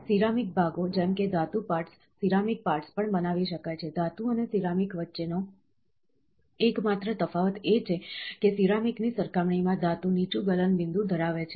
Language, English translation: Gujarati, Ceramic parts like metal parts, ceramic parts also can be created, the only difference between metal and ceramic is metal lower melting point, as compared to that of a ceramic